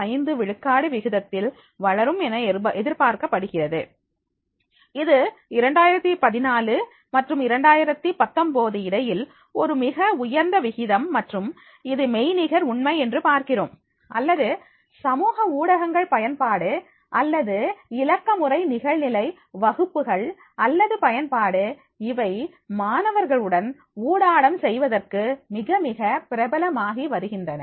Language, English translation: Tamil, 65 percent a very high rate between 2014 and 2019 and therefore we find that is the whether it is a virtual reality or the use of the social media or digital online classes, or the use of the biometrics, they have become a very, very popular to make the interaction with the students